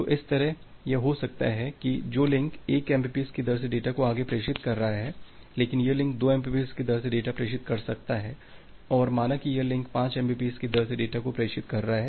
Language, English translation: Hindi, So, that way it may happen that which link is pushing data at a rate of 1 mbps, but this individual links may push data at a rate of 2 mbps and say this link is pushing data at a rate of 5 mbps